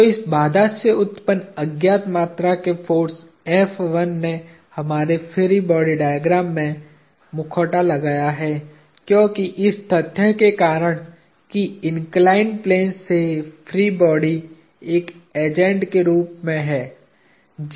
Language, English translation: Hindi, So, this constraint originated force F1 masquerades as an unknown quantity in our free body diagram; because of the fact that freed the body of the inclined plane as an agent